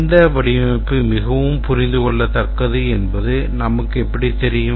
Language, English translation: Tamil, That how do we know that which design is more understandable